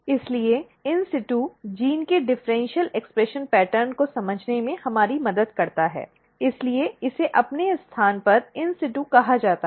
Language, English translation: Hindi, Therefore, in situ helps us to understand the differential expression pattern of the gene in the tissue, that is why called as in situ in its own place